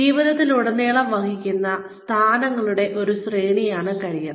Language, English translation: Malayalam, Career is a sequence, of positions, occupied by a position during the course of a lifetime